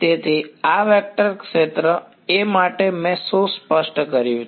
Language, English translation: Gujarati, So, for this vector field A what have I specified